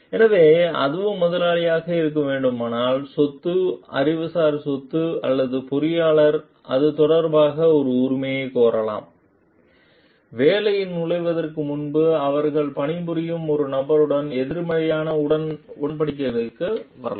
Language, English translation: Tamil, So, should that also be the employers property, intellectual property or the engineer can claim an ownership for that regarding that, before entering into the work they should come into a positive agreement with a person whom they would be working with